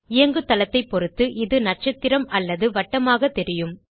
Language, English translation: Tamil, Depending on which operating system we are using, this will appear as stars or circles